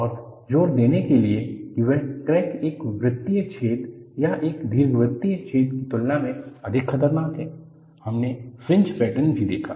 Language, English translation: Hindi, And, in order to emphasize that, crack is more dangerous than a circular hole or an elliptical hole; we also saw the fringe patterns